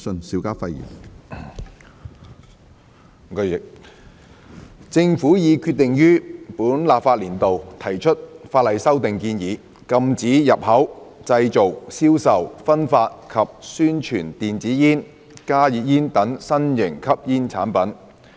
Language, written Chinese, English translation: Cantonese, 主席，政府已決定於本立法年度提出法例修訂建議，禁止入口、製造、銷售、分發及宣傳電子煙、加熱煙等新型吸煙產品。, President the Government has decided that it will submit proposed legislative amendments within this legislative session to ban the import manufacture sale distribution and advertisement of new types of smoking products such as e - cigarettes heat - not - burn cigarettes